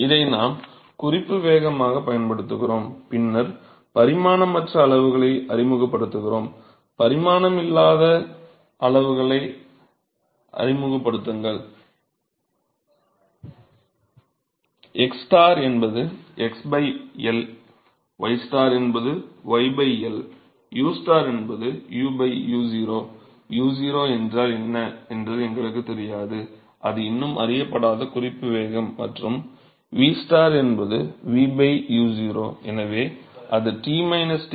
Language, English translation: Tamil, So, suppose we use this as the reference velocity and then we introduce the dimensionless quantities; introduce the dimensionless quantities as xstar is x by L y star is y by L, u star is u by u0 note that we do not know what u0 is it still an unknown reference velocity and v star is v by u0